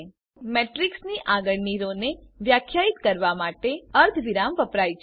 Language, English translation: Gujarati, Note that Semicolon is used for defining the next row of the matrix